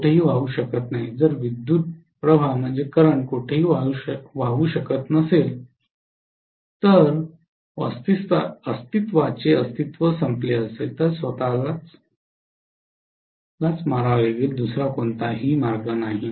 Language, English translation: Marathi, It cannot flow anywhere, if the current cannot flow anywhere it has to cease to exist, it has to kill itself there is no other way